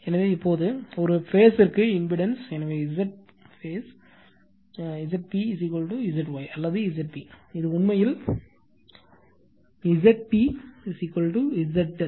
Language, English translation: Tamil, So, now right so, impedance per phase, so Z p Z phase is equal to Z y or Z p, this is Z p actually, Z p is equal to Z delta